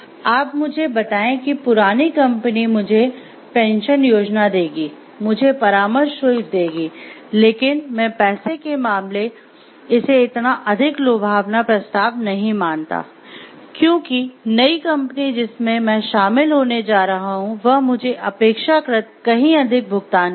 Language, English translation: Hindi, You tell me it will be given me pension plans, you will give me consultancy fees, but I do not see these to me like much worthy in terms of money, because the new company that will go and join will be paying me much higher